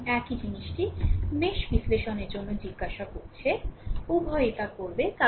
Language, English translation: Bengali, And same thing is asking for mesh analysis right, both you will do